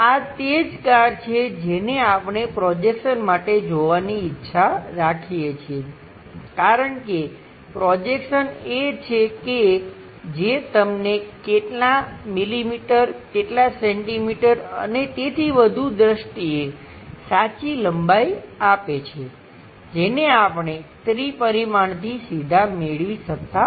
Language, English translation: Gujarati, This is the car what we would like to observe having projections, because projections are the ones which gives you true lengths in terms of how many millimeters, how many centimeters and so on so things which we cannot straight away get it from three dimensional because there will be a bit obscures